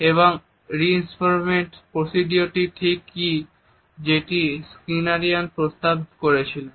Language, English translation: Bengali, Now, what exactly is this reinforcement procedure which has been suggested by Skinnerian